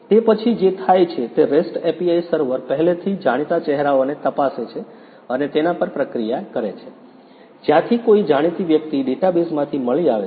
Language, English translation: Gujarati, After that what happens is the REST API server processes the faces and checks whether some known person is found from the database